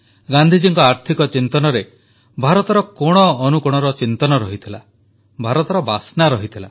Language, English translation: Odia, Gandhiji's economic vision understood the pulse of the country and had the fragrance of India in them